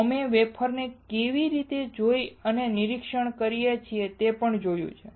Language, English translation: Gujarati, We have also seen how we can see or inspect the wafer